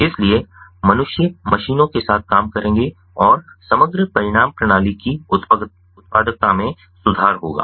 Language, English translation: Hindi, so humans will work with machines and the overall outcome will be improved productivity of the system